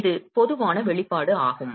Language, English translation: Tamil, This is a generic expression